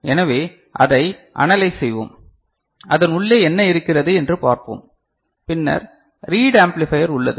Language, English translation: Tamil, So, we shall analyze it, we shall see what is there inside and then we have got read amplifier